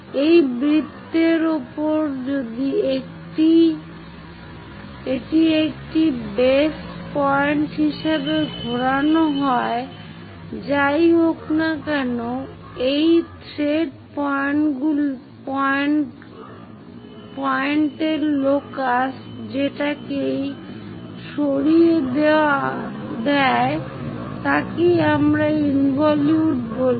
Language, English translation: Bengali, On that the circle if it is rotating as a base point whatever the locus of this thread end point moves that is what we call an involute